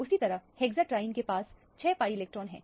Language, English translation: Hindi, Similarly, hexatriene has 6 pi electrons